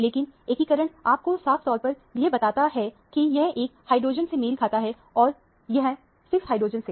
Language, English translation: Hindi, But, the integration tells you very clearly that, this corresponds to 1 hydrogen and this corresponds 6 hydrogen